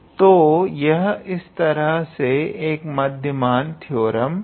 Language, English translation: Hindi, So, this is in a way a mean value theorem